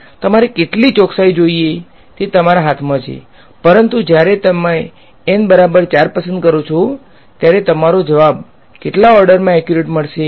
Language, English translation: Gujarati, It is in your hand how much accuracy you want, but when you choose N equal to 4 your answer is accurate to what order